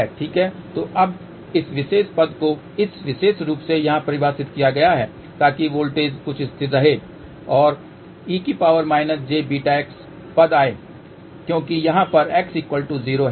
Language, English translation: Hindi, So, now, this particular term is defined in this particular form here so that voltage is some constant and e to the power minus j beta x term comes because x is equal to 0 over here